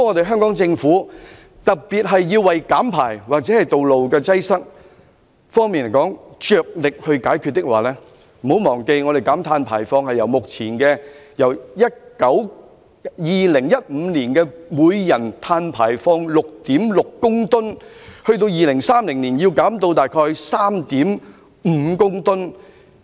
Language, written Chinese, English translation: Cantonese, 香港政府必須着力減排或解決道路擠塞的問題，不要忘記香港的碳排放量須由2015年的每人 6.6 公噸減至2030年大約 3.5 公噸。, The Hong Kong Government must make vigorous efforts to reduce emissions or solve the traffic congestion problem . We must not forget that Hong Kong is obliged to reduce its per capita carbon emission from 6.6 tonnes in 2015 to about 3.5 tonnes in 2030